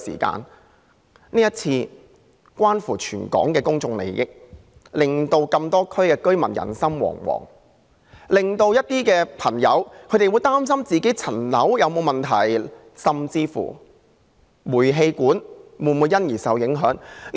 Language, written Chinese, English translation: Cantonese, 這次事件關乎全港的公眾利益，令多個地區的居民人心惶惶，令市民擔心其物業有沒有問題，甚至煤氣管會否因而受影響。, This incident concerns public interest across the whole territory . It has caused anxiety among residents in various districts making members of the public worry whether their properties have any problem and even whether the gas pipes will be consequently affected